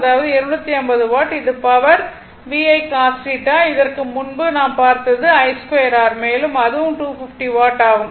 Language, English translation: Tamil, That is your 250 watt right this is the power VI cos theta earlier I showed you this I square R also 250 watt